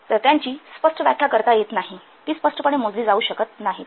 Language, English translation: Marathi, So they cannot be clearly defined, they cannot be clearly measured